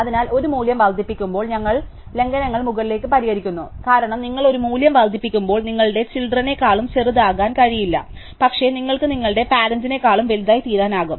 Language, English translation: Malayalam, So, in increasing a value you fix violations upwards, because in increasing a value you cannot becomes smaller than your children, but you can become bigger than your parent